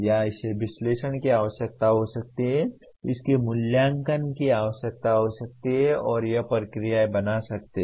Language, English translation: Hindi, Or it may require analysis, it may require evaluate and it may and create processes